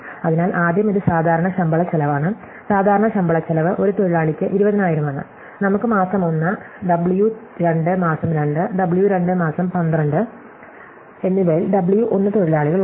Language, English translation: Malayalam, So, first this is the regular salary cost, the regular salary cost is 20,000 per worker and we have W 1 workers in month 1, W 2 in month 2 and W 2 in month 12